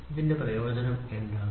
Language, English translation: Malayalam, So, what is the advantage of it